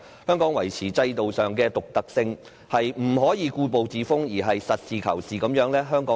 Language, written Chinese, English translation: Cantonese, 香港要維持制度上的獨特性，不可以故步自封，而要實事求是。, If Hong Kong is to maintain the uniqueness of its institutions it must take pragmatic actions rather than resting on its laurels